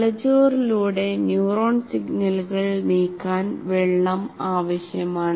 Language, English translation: Malayalam, Water is required to move neuronal signals through the brain